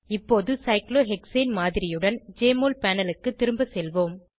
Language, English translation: Tamil, Now Let us go back to the Jmol panel with the model of cyclohexane